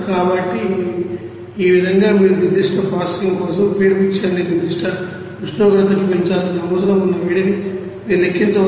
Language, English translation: Telugu, So, in this way you can calculate what should be the heat required for that particular you need to raise the feed mixer to it certain temperature for further processing